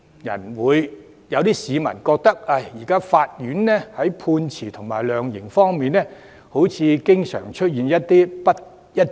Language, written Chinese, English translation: Cantonese, 也有市民覺得，現在法院在判決和量刑方面經常出現不一致。, Some people find court judgments and sentencing inconsistent . The sentencing standards of some Judges give people an impression of inconsistency